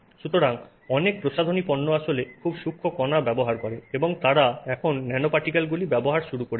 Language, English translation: Bengali, So, many cosmetic products actually use very fine particles and they have now started using nanoparticles